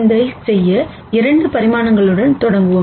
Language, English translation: Tamil, To do this, let us start with 2 dimensions